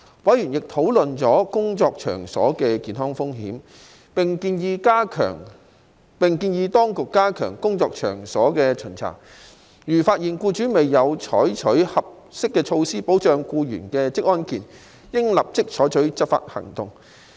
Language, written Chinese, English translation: Cantonese, 委員亦討論了工作場所的健康風險，並建議當局加強工作場所的巡查，如發現僱主未有採取合適措施保障僱員的職安健，應立即採取執法行動。, Members also discussed health hazards at work and suggested that the Administration should step up workplace inspections and take enforcement actions immediately if employers were found to have failed to take appropriate measures to protect employees OSH